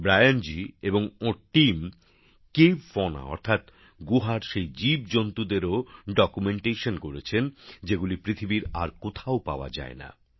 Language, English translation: Bengali, Brian Ji and his team have also documented the Cave Fauna ie those creatures of the cave, which are not found anywhere else in the world